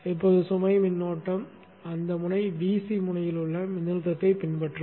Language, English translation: Tamil, Now the load current will follow the voltage at that node, VC node